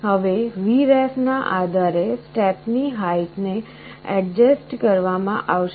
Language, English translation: Gujarati, Now, depending on Vref, the step height will be adjusted